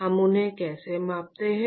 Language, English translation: Hindi, how do we quantify them